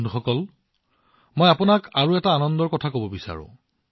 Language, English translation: Assamese, Friends, I want to share with you another thing of joy